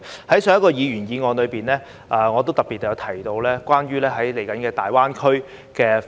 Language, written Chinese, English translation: Cantonese, 在上一項議員議案中，我也特別提到有關大灣區未來的發展。, During the debate on the previous Members motion I mentioned the future development of the Guangdong - Hong Kong - Macao Greater Bay Area GBA in particular